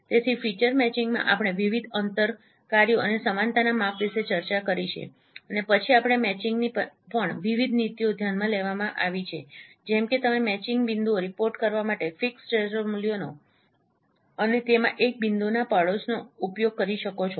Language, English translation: Gujarati, So in feature matching we have discussed about different distance functions and similarity measure and then we also consider different policies of matching like you can use a fixed threshold value to report the matching points and within that neighborhood of a point